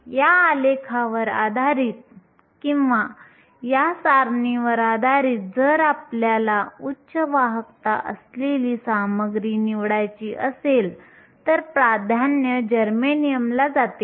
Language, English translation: Marathi, Based on this graph or based on this table, if you want to choose a material with the highest conductivity then the preference goes to germanium